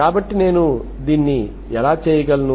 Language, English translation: Telugu, So how do I do this